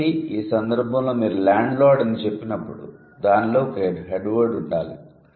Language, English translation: Telugu, So, in this case, when you say landlord, there must be a head word